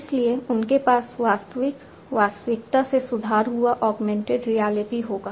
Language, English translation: Hindi, So, they will have improved augmented reality of the actual reality